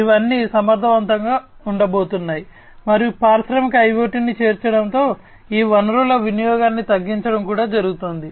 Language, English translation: Telugu, These are all going to be efficient, and the reduce consumption of all these resources is also going to happen, with the incorporation of industrial IoT